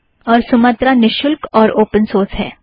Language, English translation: Hindi, And Sumatra is free and open source